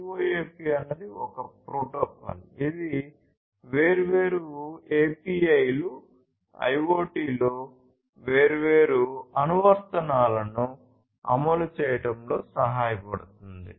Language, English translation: Telugu, So, CoAP is you know is a protocol, which helps ensure running different APIs, different you know applications at different applications in IoT